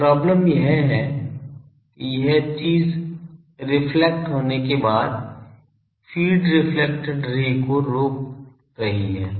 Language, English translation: Hindi, Now, the problem is after this thing gets reflected, the reflected ray this feed is blocking that